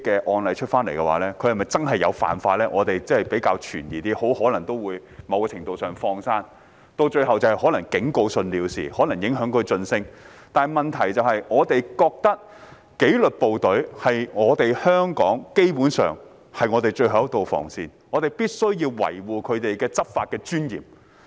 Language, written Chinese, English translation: Cantonese, 我們較有疑問的是，他們很可能都會獲某程度"放生"，最後可能是以警告信了事，或可能影響晉升，但問題是我們認為紀律部隊基本上是我們香港的最後一道防線，因此必須維護他們的執法尊嚴。, We are rather sceptical that they may very likely be let off the hook to a certain extent and in the end they may just receive a warning letter or their promotion may be affected . But the thing is we think the disciplined services are basically the last line of defence for Hong Kong so we must safeguard their dignity in law enforcement